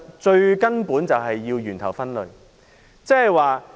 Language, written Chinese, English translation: Cantonese, 最根本的做法便是從源頭分類。, The most fundamental approach is to separate waste at source